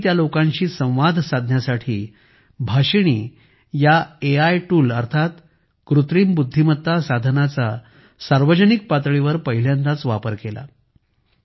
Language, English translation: Marathi, There I publicly used the Artificial Intelligence AI tool Bhashini for the first time to communicate with them